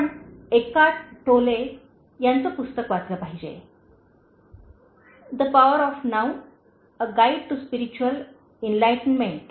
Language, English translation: Marathi, You should read the book by Eckhart Tolle, The Power of Now: A Guide to Spiritual Enlightenment